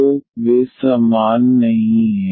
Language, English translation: Hindi, So, they are not equal